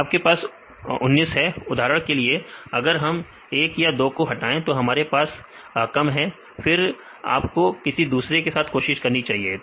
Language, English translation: Hindi, Then you will have 19; for example, if you remove 1 or 2 then we have less then again you try the other one